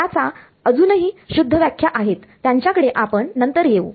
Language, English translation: Marathi, There are more refined definition of this we will come to them later